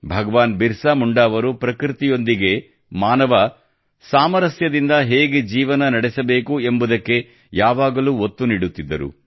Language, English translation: Kannada, Bhagwan Birsa Munda always emphasized on living in harmony with nature